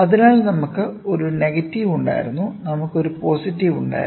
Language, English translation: Malayalam, So, we had a negative, we had a positive